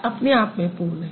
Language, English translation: Hindi, It is self sufficient